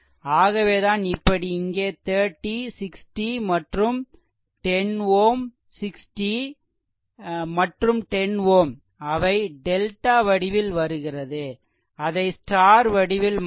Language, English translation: Tamil, So, here we are getting your what you call that your this 30, 60 and 10 ohm 60 and 10 ohm, they are in it is in delta we have to convert it to star right